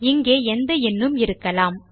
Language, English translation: Tamil, We can have any number here